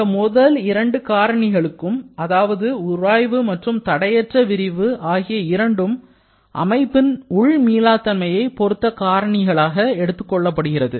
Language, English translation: Tamil, Now, the first two friction and unrestrained expansion or primarily friction are generally referred as the reasons for internal irreversibility